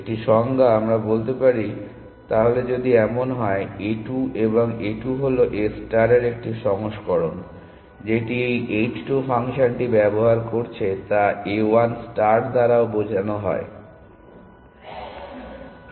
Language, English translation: Bengali, Just a definition, we say then if this is the case then every node seen by a 2 and a 2 is 1 version of a star, which is using this h 2 function is also seen by A 1 star